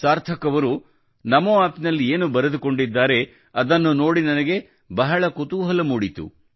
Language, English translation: Kannada, The message that Sarthak ji has written to me on Namo App is very interesting